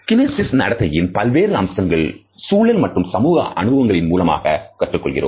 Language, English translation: Tamil, Many aspects of our kinesic behavior and understanding are learned through environmental and social experiences